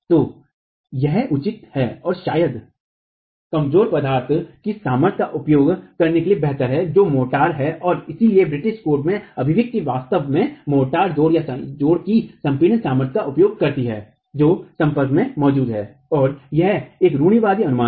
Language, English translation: Hindi, So, it is reasonable and probably better to make use of the strength of the weaker material which is the motor and hence the expression in the British code actually makes use of the compressive strength of the motor joint which is present at the contact itself and this is a conservative estimate